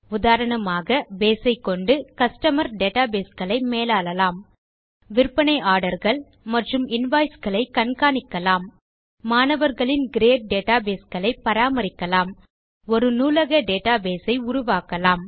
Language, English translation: Tamil, For example, Base can be used to manage Customer Information databases, track sales orders and invoices, maintain student grade databases or build a library database